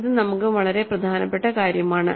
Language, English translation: Malayalam, This is a very important thing for us